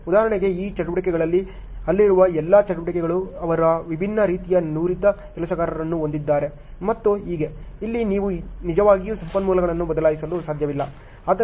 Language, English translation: Kannada, For example, in these activities, all the activities whatever are there they are having a different type of skilled worker and so on, here you cannot really shuffle the resources ok